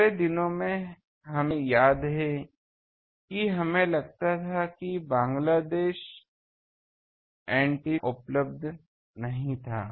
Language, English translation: Hindi, In our days, we remember that suppose Bangladesh antenna was not available